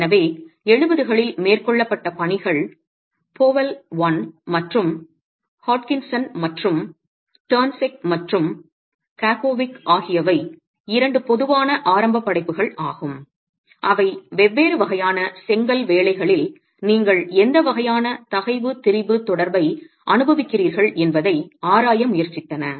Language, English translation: Tamil, So, work carried out in the 70s, Powell and Hod Hutchinson and turn second Kakowich are two typical initial works that try to examine what sort of a stress strain relationship do you get in different types of brickwork